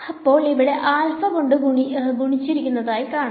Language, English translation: Malayalam, So, this is there can be some alpha which multiplies over here